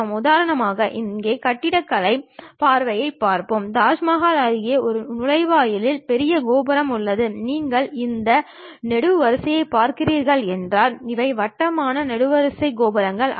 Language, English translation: Tamil, For example, here let us look at for architecture point of view, near Taj Mahal, there is an entrance gate the great tower, if you are looking at these columns these are not rounded kind of column towers